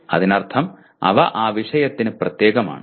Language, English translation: Malayalam, That means specific to that subject